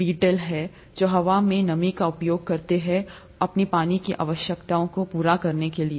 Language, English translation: Hindi, There are beetles which use moisture in the air for their water requirements